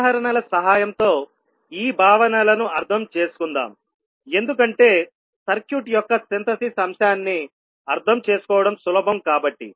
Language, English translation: Telugu, So let us understand these concepts with the help of examples because that would be easier to understand the Synthesis aspect of the circuit